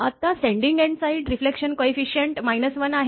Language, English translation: Marathi, So, receiving end side reflection coefficient is 0